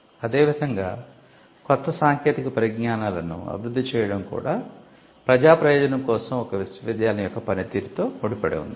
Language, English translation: Telugu, Similarly, developing new technologies was also seeing as being in alignment with the function of a university to do public good